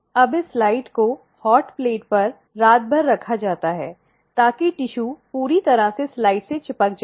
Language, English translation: Hindi, Now, this slide is kept overnight on the hot plate so, that the tissue sticks to the slide completely